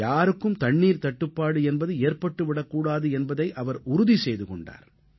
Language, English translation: Tamil, He ensured that not a single person would face a problem on account of water